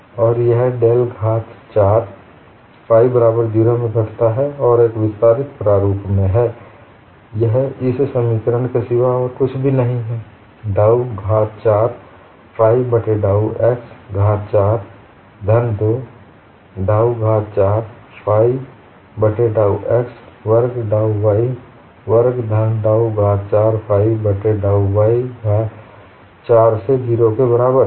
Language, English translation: Hindi, The equation changes to del square of del squared phi equal to 0; it reduces to del power 4 phi equal to 0 and in an expanded form, this is nothing but dou power 4 phi divided by dou x power 4 plus 2 dou power 4 phi by dou x squared by dou y squared plus dou power 4 phi divided by dou y power 4 equal to 0